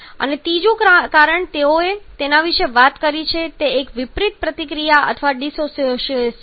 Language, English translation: Gujarati, And the third reason they have talked about that is a reverse reaction or the dissociation